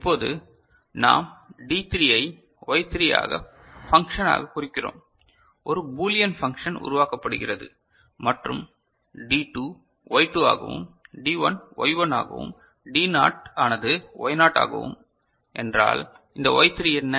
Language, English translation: Tamil, So, now, if we represent D3 as Y 3 a function, a Boolean function getting generated and D2 as Y2, D1 as Y1 and D naught as Y naught right then this Y3 is what